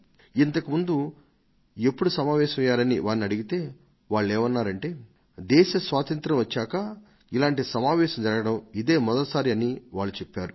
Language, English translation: Telugu, I asked them if they have ever had a meeting before, and they said that since Independence, this was the first time that they were attending a meeting like this